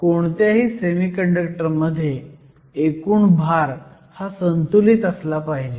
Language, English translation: Marathi, In any semiconductor, the total charge should be balanced